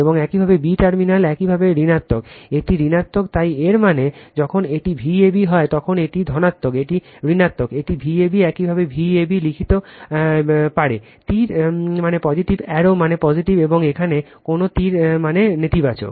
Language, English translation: Bengali, And your b terminal is your negative right, it is negative, so that means when it is V a b this is positive, this is negative, it is V a b you can write V a b, arrow means positive arrow means positive, and here no arrow means negative